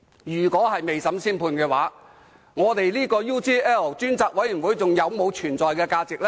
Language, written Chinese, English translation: Cantonese, 如果未審先判，調查 UGL 事件專責委員會還有存在價值嗎？, If so what is the point of having the Select Committee to inquire into matters about UGL?